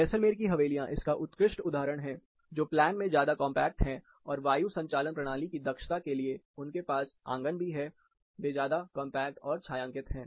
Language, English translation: Hindi, Classic example is the Havelis of Jaisalmer, which are more compact in plan, even when they do had courtyards for ventilation efficiency, they were more compact and shaded